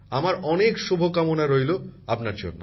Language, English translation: Bengali, This is my best wish for all of you